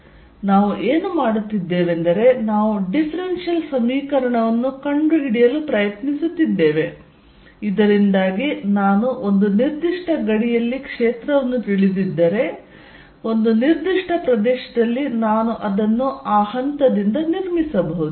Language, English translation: Kannada, So, what we are doing is we are trying to find a differential equation, so that if I know field on a certain boundary, in a certain region I can build it up from there